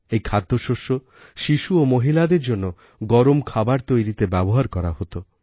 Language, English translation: Bengali, This grain is used to make piping hot food for children and women